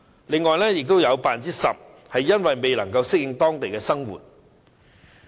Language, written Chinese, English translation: Cantonese, 此外，有 10% 表示未能適應當地生活。, Besides 10 % of the respondents said that they could not adapt to the local lifestyle